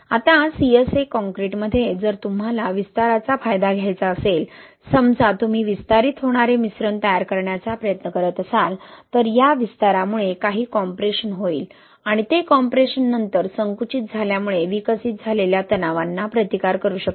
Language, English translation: Marathi, Now in CSA concrete, if you want to leverage the expansion, right, suppose you are trying to formulate mix which expands, what happens, this expansion will lead to some compression, right, and that compression can then counteract the themselves stresses developed due to shrinkage